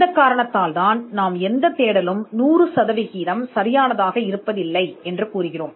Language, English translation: Tamil, For this reason, we say that no search is perfect